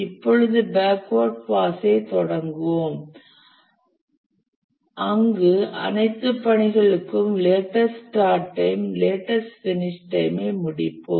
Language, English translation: Tamil, Now we'll start the backward pass where we'll complete the latest start time and latest finish time for all the tasks